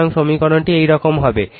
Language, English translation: Bengali, So, your equation will be like this right